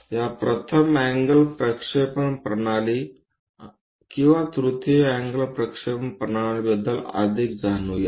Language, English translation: Marathi, To know more about this first angle projection system or third angle projection system